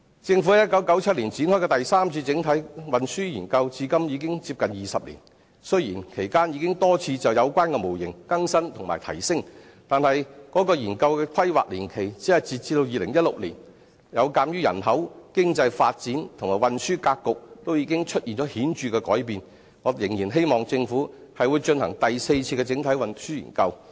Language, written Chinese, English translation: Cantonese, 政府於1997年展開的第三次整體運輸研究至今已近20年，雖然其間已多次就有關模型更新及提升，但是，該研究的規劃年期只是截至2016年，有鑒於人口、經濟發展及運輸格局皆出現顯著的改變，我仍然希望政府進行第四次整體運輸研究。, It has been nearly 20 years since the commencement of the Third Comprehensive Transport Study by the Government in 1997 . Although the model has been updated and enhanced several times in the interim the period of strategic planning under this Study was only up to 2016 . Given the substantial changes in population economic development and modes of transportation I still hope that the Government can launch the Fourth Comprehensive Transport Study